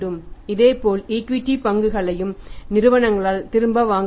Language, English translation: Tamil, Similarly equity shares also can be bought back by the companies